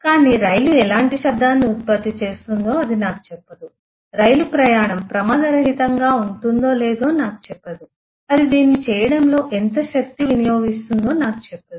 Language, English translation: Telugu, So that is what is a model which is not but but it will not tell me what kind of noise the train will produce, it will not tell me whether the travel of the train will be risk free, it will not tell me how much power it will consume in doing this